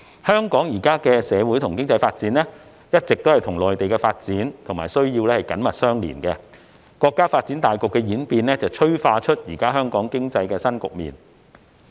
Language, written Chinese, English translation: Cantonese, 香港現時的社會和經濟發展一直與內地的發展和需要緊密相連，國家發展大局的演變催化出香港經濟的新局面。, The socio - economic development of Hong Kong these days is always closely connected to the development and needs of the Mainland . The evolution of the countrys overall development setting has catalysed a new setting in Hong Kongs economy